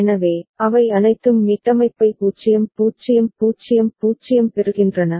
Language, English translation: Tamil, So, all of them get reset 0 0 0 0